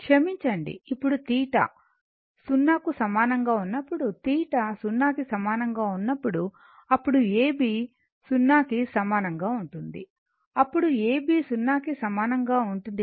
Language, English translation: Telugu, Sorry, now when theta is equal to 0 right when theta is equal to 0, then A B is equal to 0, then A B is equal to your what you call is equal 0